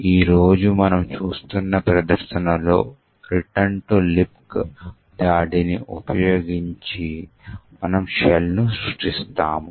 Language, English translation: Telugu, In the demonstration that we see today, we will be creating a shell using the return to libc attack